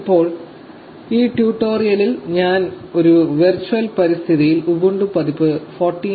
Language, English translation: Malayalam, Now, for this tutorial I will be showing you how to install ubuntu version 14